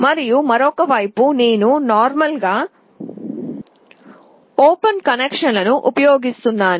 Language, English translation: Telugu, And on the other side I am using the normally open connection